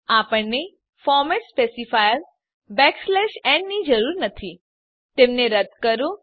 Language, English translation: Gujarati, We dont need the format specifier and /n Let us delete them